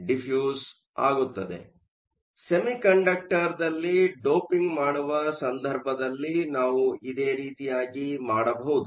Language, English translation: Kannada, So, we can do something similar in case of doping in semiconductor as well